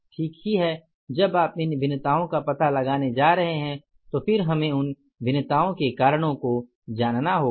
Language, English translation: Hindi, So, when you are going to find out these variances we will have to know the reasons for those variances, right